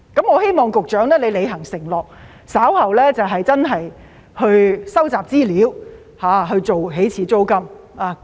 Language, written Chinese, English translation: Cantonese, 我希望局長履行承諾，稍後真的收集資料，訂定起始租金。, I hope that the Secretary will honour his promise and really collect information and set the initial rent later